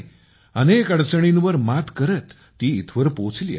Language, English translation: Marathi, She has crossed many difficulties and reached there